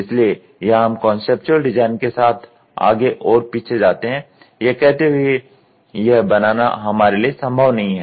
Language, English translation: Hindi, So, here we also go back and forth with the conceptual design saying that see this is not possible for us to make